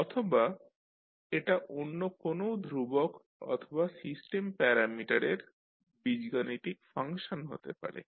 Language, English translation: Bengali, Or it can be an algebraic function of other constants and, or system parameters